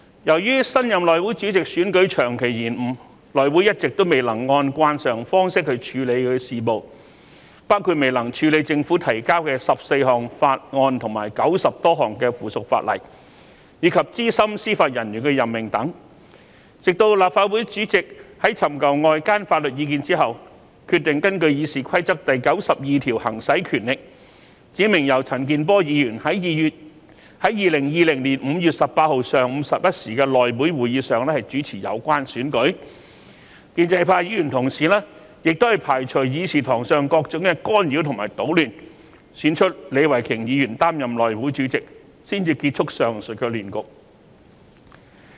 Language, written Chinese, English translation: Cantonese, 由於新任內會主席選舉長期延誤，內會一直未能按慣常方式處理事務，包括未能處理政府提交的14項法案及90多項附屬法例，以及資深司法人員任命等事項，直至立法會主席尋求外間法律意見後，決定根據《議事規則》第92條行使權力，指明由陳健波議員在2020年5月18日上午11時內會會議上主持有關選舉，建制派議員亦排除議事堂上各種干擾及搗亂，選出李慧琼議員擔任內會主席，才結束了上述亂局。, Due to the long delay in the election of the Chairman of the House Committee the House Committee has not been able to normally conduct its business including handling 14 bills presented by the Government and more than 90 pieces of subsidiary legislation and handling the appointment of senior judicial officers etc . After the President of the Legislative Council had sought external legal advice he decided to exercise his power under RoP 92 and designated Mr CHAN Kin - por to chair the election at the meeting of the House Committee held on 18 May 2020 at 11col00 am . Despite all the interference and disruptions in the conference room Ms Starry LEE was elected Chairman of the House Committee thus putting an end to the above mentioned chaos